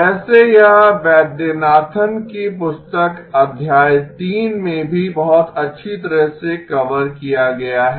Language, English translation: Hindi, By the way, this is also covered very nicely in Vaidyanathan’s book chapter 3